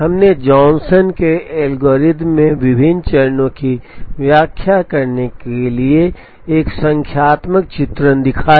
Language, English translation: Hindi, We also showed a numerical illustration to explain the various steps in the Johnson’s algorithm